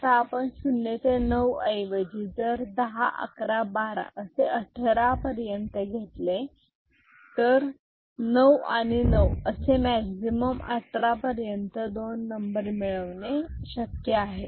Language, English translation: Marathi, Now, instead of result being you know 0 to 9, if it is 10 11 12 and up to 18, it is possible two numbers getting added is 9 and 9 that is the maximum